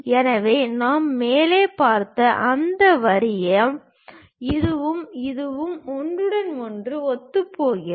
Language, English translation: Tamil, So, those lines what we have seen top, this one and this one coincides with each other